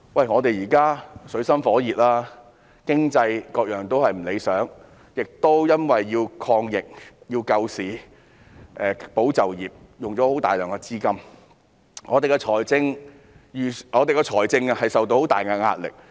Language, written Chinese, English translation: Cantonese, 我們現正處於水深火熱之中，經濟等範疇都不理想，由於政府要抗疫、救市、保就業，所以花了大量資金，令我們的財政受到很大壓力。, We are now in dire straits since the performance of various aspects such as the economy is not satisfactory . The Government has spent a lot of money to fight against the epidemic rescue the market and safeguard employment thereby exerting much pressure on our financial position